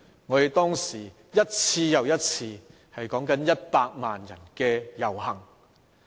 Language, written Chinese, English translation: Cantonese, 我們當時舉行了一次又一次有多達100萬人參與的遊行。, Back then one after another rallies were held with as many as 1 million people taking part in them